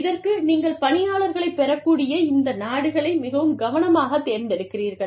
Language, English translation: Tamil, So, you select these countries, very carefully, where you can get, employees from